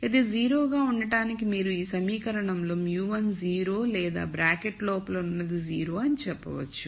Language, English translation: Telugu, So, for this to be 0 you could say in this equation either mu 1 is 0 or whatever is inside the bracket is 0